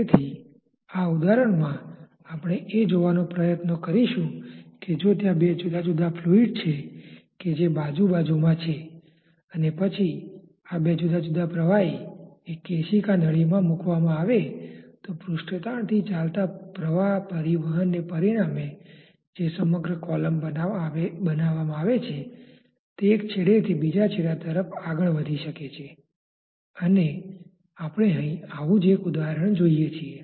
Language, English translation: Gujarati, So, in this example what we will try to see is that if there are two different liquids which are there side by side then when these two different liquids are put in a capillary tube sometimes magically because of the resultant surface tension driven flow transport that is created the entire column may move from one end to the other end and we see one such example here